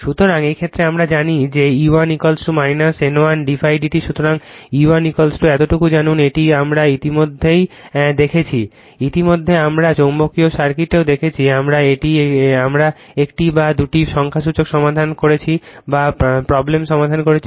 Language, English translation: Bengali, So, you know E 1 is equal to this much, right this one already we have seen, already we have seen in magnetic circuit also we have solve one or two numerical